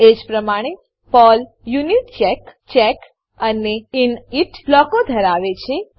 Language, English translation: Gujarati, Similarly, PERL has UNITCHECK, CHECK and INIT blocks